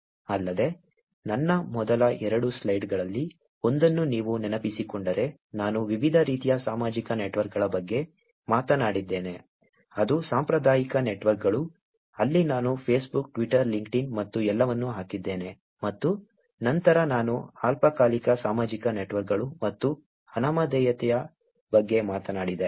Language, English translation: Kannada, Also, if you remember in one of my first two slides, I talked about different types of social networks, which is traditional networks, where I put in Facebook, Twitter, LinkedIn, and all that and then I talked about ephemeral social networks and anonymous social networks